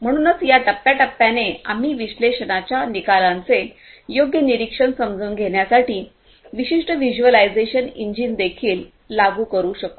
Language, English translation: Marathi, So, it is in these phases that we could also implement a certain a suitable visualization engine for appropriate monitoring and understanding of the results of annulled analytics